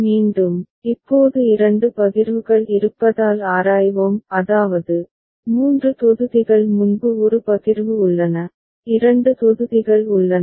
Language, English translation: Tamil, Again, we examine because now there are two partitions; I mean, three blocks are there earlier one partition, 2 blocks are there right